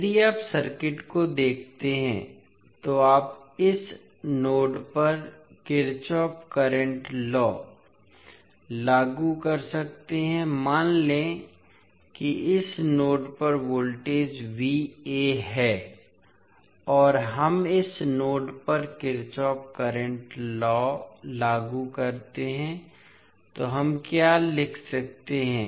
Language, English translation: Hindi, You will, if you see the circuit you can apply Kirchhoff current law at this node, let say the voltage at this node is V a and we apply Kirchhoff current law at this node, so what we can write